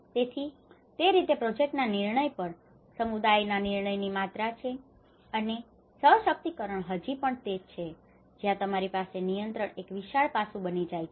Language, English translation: Gujarati, So that is how the amount of community control over a project decision making you know that is how empowerment still that is where you will have this the control becomes a wide aspect into it